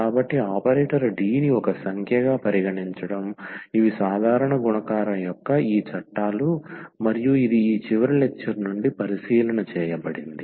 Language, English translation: Telugu, So, treating the operator D as a number, the ordinary this laws of multiplication works and this was the observation from the last lecture